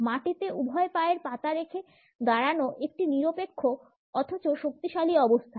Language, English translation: Bengali, Standing with both feet on the ground is a neutral yet powerful standing position